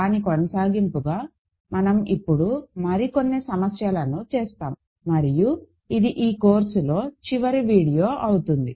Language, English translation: Telugu, So, we are going to continue and do some more problems and this will be the last video of the course, ok